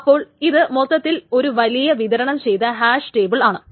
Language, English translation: Malayalam, So it's just a big distributed hash table